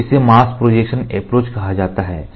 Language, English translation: Hindi, So, this is called as mask projection approach